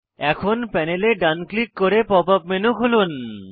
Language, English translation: Bengali, Now, right click on the panel, to open the Pop up menu